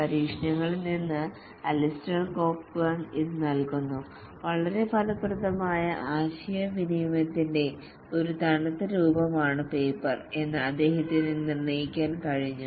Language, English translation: Malayalam, This is given by Alistair Cockburn from experiments he could determine that paper is a cold form of communication not very effective